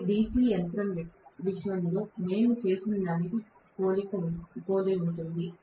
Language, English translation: Telugu, It is very similar to what we did in the case of a DC machine